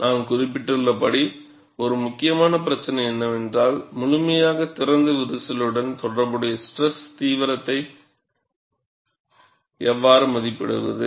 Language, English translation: Tamil, And as I mentioned, one of the important issues is, how to estimate the stress intensity factor corresponding to fully opened crack